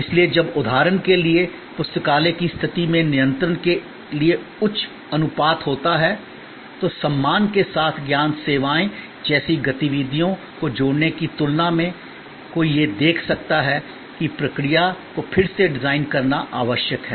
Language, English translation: Hindi, So, when there is high ratio of checking control for example, in the library situation with respect to, compare to value adding activities like knowledge services, one can see that the process redesign is necessary